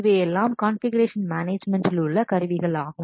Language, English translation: Tamil, So these are the configuration management tools